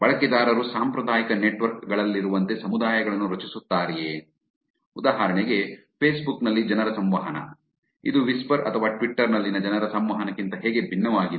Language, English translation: Kannada, Do users form communities similar to those in traditional networks, like for example people interaction on facebook, how is this different from people interactions on whisper or twitter